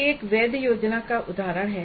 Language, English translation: Hindi, So this is an example of a valid plan